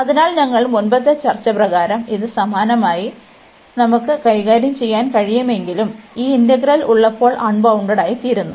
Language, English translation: Malayalam, So, we are not as per the our earlier discussion that we are talking about I mean though similarly we can deal, when we have this integral is becoming unbounded at the upper bound